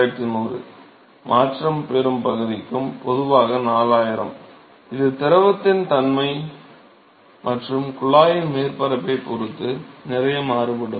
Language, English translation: Tamil, To, to the transition region and typically 4000 of course, it varies a lot depending upon the nature of the fluid and the surface of the tube